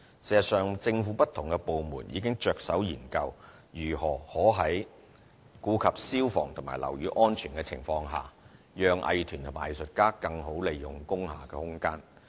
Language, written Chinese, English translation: Cantonese, 事實上，政府不同部門已着手研究如何可在顧及消防和樓宇安全的情況下，讓藝團和藝術家更好利用工廈空間。, As a matter of fact various government departments have been studying how to let arts groups and artists to make better use of industrial building space under the premise of ensuring fire and building safety